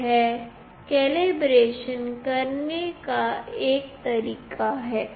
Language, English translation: Hindi, This is one way of doing the calibration